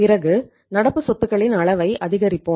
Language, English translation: Tamil, Then we will increase the level of current assets